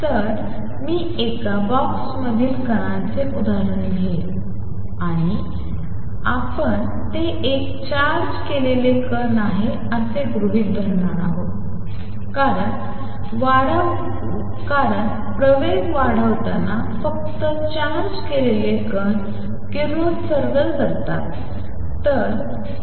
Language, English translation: Marathi, So, I will take the example of particle in a box and; obviously, we are going to assume it is a charged particle because only charged particles radiate when accelerating